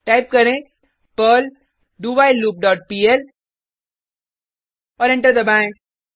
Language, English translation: Hindi, By Typing perl loop dot pl and press Enter